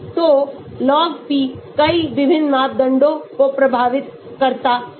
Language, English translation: Hindi, So, log p affects so many different parameters